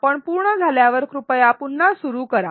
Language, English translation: Marathi, When you are done, please resume